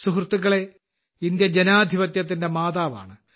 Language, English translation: Malayalam, Friends, India is the mother of democracy